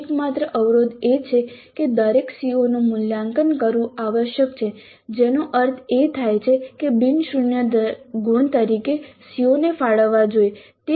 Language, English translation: Gujarati, The only constraint is that every CO must be assessed which means that non zero marks must be allocated to every CO